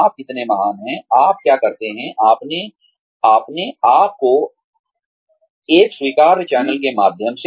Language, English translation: Hindi, How great you are at, what you do, through an acceptable channel of marketing yourself